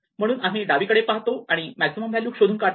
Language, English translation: Marathi, We go to the left and find the maximum value is 28